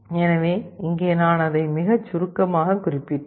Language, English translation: Tamil, So here I mentioned it very briefly